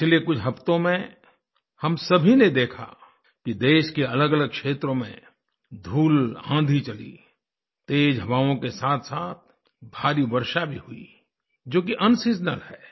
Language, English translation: Hindi, In the past few weeks, we all witnessed that there were dust storms in the different regions of the country, along with heavy winds and unseasonal heavy rains